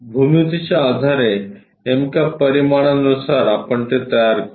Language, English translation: Marathi, The exact dimensions based on the geometry we will construct it